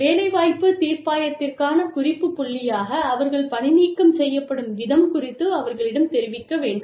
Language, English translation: Tamil, As a point of reference, for an employment tribunal, should someone make a complaint about the way, they have been dismissed